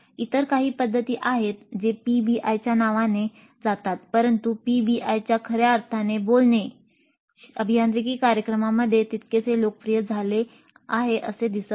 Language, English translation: Marathi, There are certain other approaches which go by the name of PBI but strictly speaking PBI in its true sense does not seem to have become that popular in engineering programs